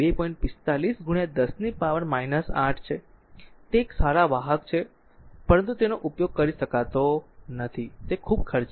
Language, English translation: Gujarati, 45 into 10 to the power minus 8, it is a good conductor, but you cannot use it is very expensive